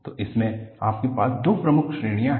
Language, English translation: Hindi, So, in this, you have two main categories